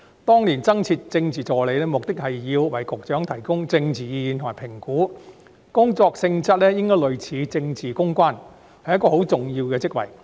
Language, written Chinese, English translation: Cantonese, 當年增設政治助理一職，目的是要為局長提供政治意見及評估，工作性質應該類似政治公關，是一個很重要的職位。, The posts of Political Assistant were created back then for the purpose of providing Bureau Directors with political advice and evaluation . Their job nature should be more or less the same as that of political public relations personnel and it should be a very important post